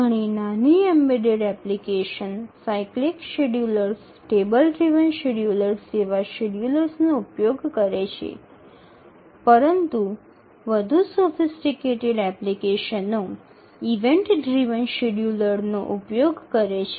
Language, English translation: Gujarati, Many small embedded applications use schedulers like cyclic schedulers or table driven schedulers but more sophisticated applications use event driven schedulers